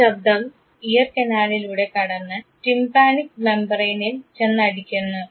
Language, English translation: Malayalam, This sound travels through the ear canal and strikes his tympanic membrane